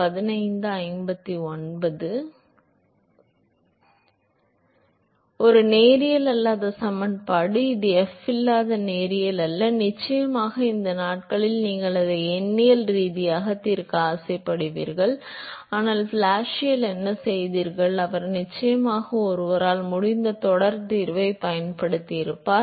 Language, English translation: Tamil, So, it is a non linear equation, it is non linear in f, of course these days you would be tempt to solve it numerically, but what Blasius did was he used the series solution one could of course, solve it numerically and so, it has been